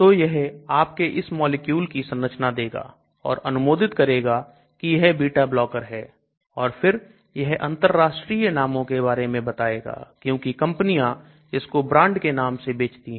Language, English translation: Hindi, So it gives you the structure of this molecule and then approve it is a beta blocker and then international other brand names because companies sell it as brand names